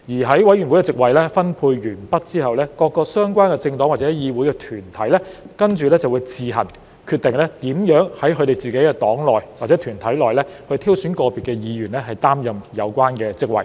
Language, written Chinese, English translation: Cantonese, 在委員會席位分配完畢後，各個相關政黨或議會團體便會自行決定如何在其黨內或團體內挑選個別議員出任有關席位。, After allocation of committee seats the political parties or the parliamentary groups concerned may then decide on their own how to select individual Members from their parties or groups to fill the committee seats